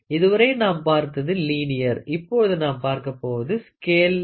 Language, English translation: Tamil, So, till now what we saw was we saw linear, now we are going to see scaled